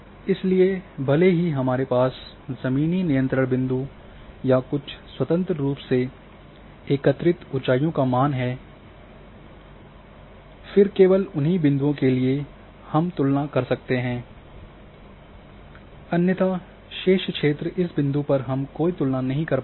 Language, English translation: Hindi, So, even if I am having the ground controlled points or some independently collected elevation values and then only for those points I am having comparison otherwise for remaining area I do not have any comparison in this point